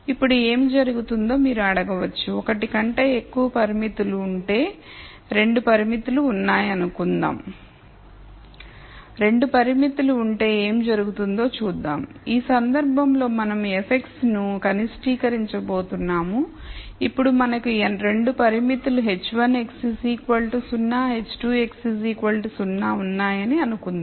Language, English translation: Telugu, So, we will see what happens if there are 2 constraints, so in this case we are going to minimize f of x and now let us say we have 2 constraints we are going to say h 1 x equal to 0 h 2 x equal to 0